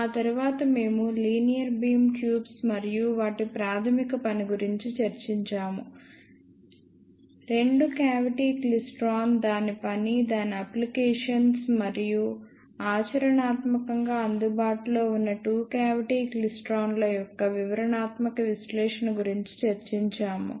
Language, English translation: Telugu, After that we discussed about linear beam tubes and their basic working; followed by detailed analysis of two cavity klystron, its working its applications and the specifications of practically available two cavity klystrons